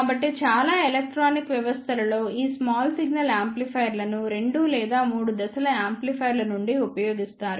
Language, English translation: Telugu, So, in most of the electronic systems these small signal amplifiers are used as the starting 2 or 3 stages of amplifiers